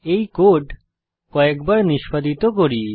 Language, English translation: Bengali, I will run this code a few times